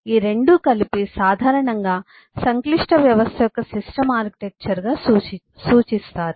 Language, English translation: Telugu, and these 2 together is commonly referred to as a system architecture for the complex system